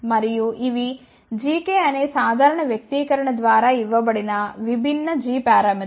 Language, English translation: Telugu, And these are the different g parameters given by simple expression which is g k